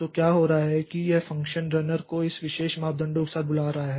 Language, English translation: Hindi, So, what is happening is that it is calling this function runner or runner with this particular parameter